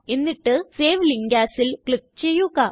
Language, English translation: Malayalam, And click on Save Link As